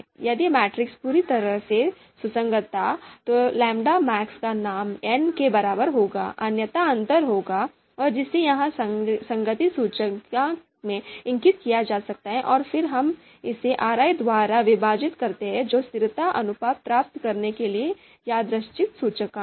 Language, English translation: Hindi, If the consistence, if the matrix was you know you know will will be perfectly consistent, then lambda max value would be equal to n, otherwise there would be difference and that can be indicated here in the consistency index and then we divide it by RI which is the random index and we get the consistency ratio